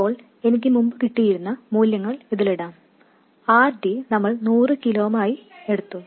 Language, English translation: Malayalam, By the way, let me put the values I had before already we took it to be 100 kilo ooms